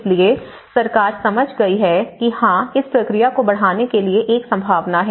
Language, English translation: Hindi, So, with this, the government have understood that yes there is a possibility that to scale up this process